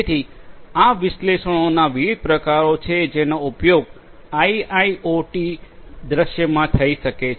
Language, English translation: Gujarati, So, these are the different types of analytics that could be used in an IIoT scenario